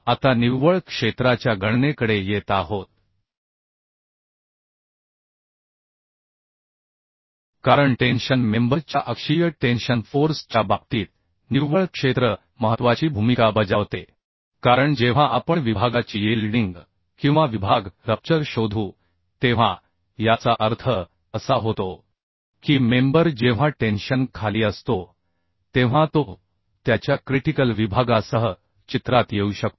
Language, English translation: Marathi, Now coming to net area calculation, because in case of tensile member, axial tensile force, the net area plays analysis important role because when we will find out the yielding of the section or rupture of the section means the member, when it is under tension rapture may come into picture along its critical section